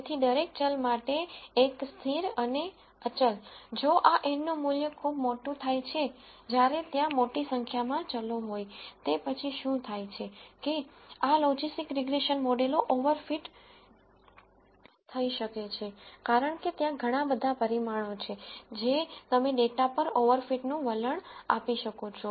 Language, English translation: Gujarati, So, 1 constant for each variable and the constant if this n becomes very large when there are large number of variables that are present then, what happens is this logistic regression models can over t because there are so many parameters that you could tend to over t the data